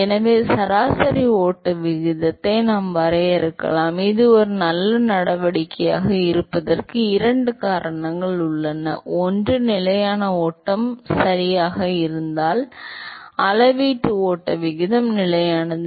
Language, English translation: Tamil, So, we can define an average flow rate; there are two reasons why it is a good measure, one is volumetric flow rate is constant if it is a steady flow right